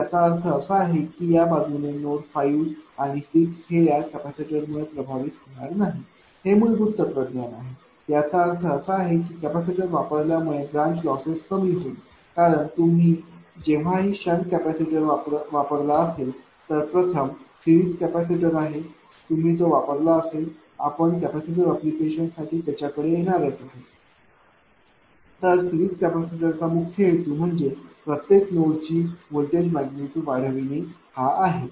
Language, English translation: Marathi, So, I mean this is the basic philosophy that mean this side 5 and 6 not affected by this capacitor; that means, whatever branch losses will reduce due to capacitor placement because whenever use your sun capacitor right and first is series capacitor if you put it will come to that for a capacitor application, series capacitor actually main purpose is to increase the voltage magnitude right of the each node